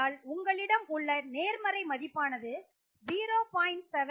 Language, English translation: Tamil, So you have a value of 0